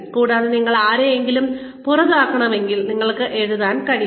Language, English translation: Malayalam, And, if you need to fire somebody, you need to be, able to write down